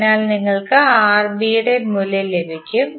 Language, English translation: Malayalam, So you will get simply the value of Rb